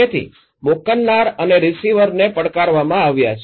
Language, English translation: Gujarati, So, the senders and receivers they are challenged